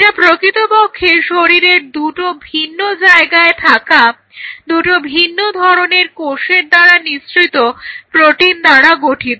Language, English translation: Bengali, It is a protein secreted by two different kind of cells at two different places of the body